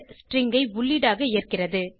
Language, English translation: Tamil, message command takes string as input